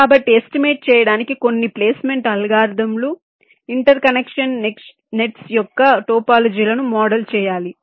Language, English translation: Telugu, so for making an estimation, some placement algorithm needs to model the topology of the interconnection nets